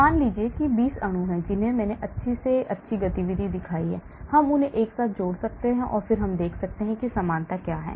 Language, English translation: Hindi, suppose if there are 20 molecules which I have shown good activity we can align them together and then we can see what is the similarity